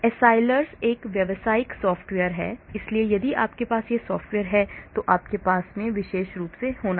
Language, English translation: Hindi, Accelrys is a software, commercial software so if you are having that software you will be having this particular also